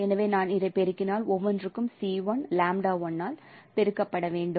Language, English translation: Tamil, So if I multiply so each one should be multiplied by this C1 lambda I